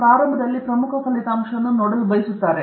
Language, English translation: Kannada, They want to see the important result at the beginning